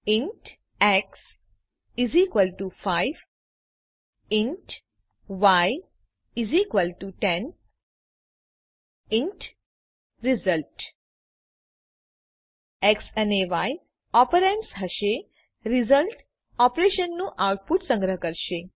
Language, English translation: Gujarati, int x = 5 int y = 10 int result x and y will be the operands and the result will store the output of operations